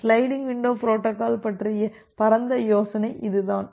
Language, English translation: Tamil, So, that is the broad idea about the sliding window protocol